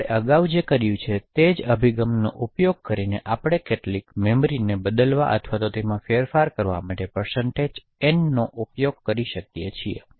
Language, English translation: Gujarati, So, using the same approach that we have done previously we can use % n to actually change or modify some arbitrary memory location